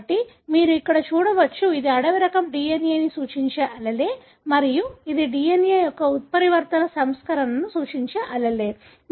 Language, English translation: Telugu, So, you can here, this is allele representing wild type DNA and this is an allele representing a mutant version of DNA